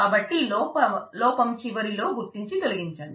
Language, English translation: Telugu, So, at the end of the fault detect and delete